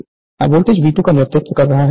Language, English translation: Hindi, The voltage I 2 is leading voltage V 2